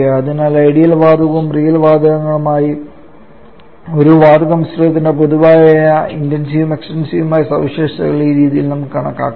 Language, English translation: Malayalam, So this way we can calculate most of the common intensive and extensive properties for a gas mixture for both ideal gas and real gases